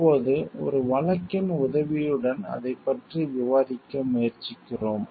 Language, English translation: Tamil, Now, we are trying to discuss that with the help of a case